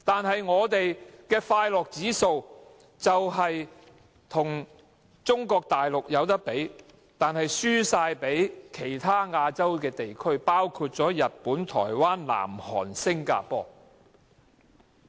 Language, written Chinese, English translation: Cantonese, 慶祝我們的快樂指數可與中國大陸比擬，但輸給其他亞洲地區，包括日本、台灣、南韓和新加坡？, Or shall we rejoice in our score in the World Happiness Index which rivals that of Mainland China but lags behind those of other areas in Asia including Japan Taiwan South Korea and Singapore?